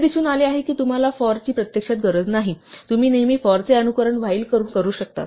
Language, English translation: Marathi, So, it turns out that you do not actually need a 'for', you can always simulate a 'for' by a while